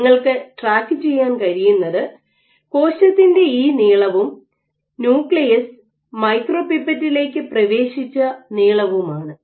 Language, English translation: Malayalam, So, what you can track is this length of the cell and this length that the nucleus has entered into the micropipette